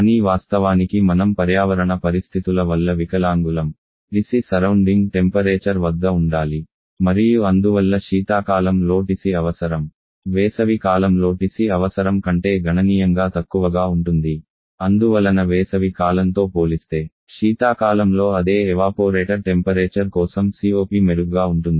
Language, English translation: Telugu, But of course we are handicapped by the environmental condition TC as to the surrounding temperature and therefore the TC requirement during the winter seasons and be significantly lower than the TC requirement in the summer season, and therefore the COP for the same evaporator temperature during the winter season can be much better compare to the summer season